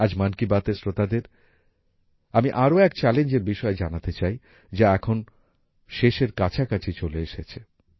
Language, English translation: Bengali, Today, I would like to tell the listeners of 'Mann Ki Baat' about another challenge, which is now about to end